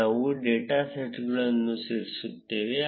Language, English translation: Kannada, Next we would add the data sets